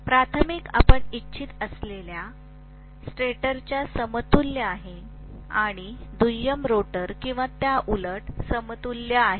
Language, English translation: Marathi, The primary is equivalent to the stator you can say if you want to and the secondary is equivalent to the rotor or vice versa